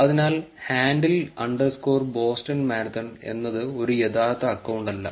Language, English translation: Malayalam, So, the handle is underscore Boston Marathon, that is not as real account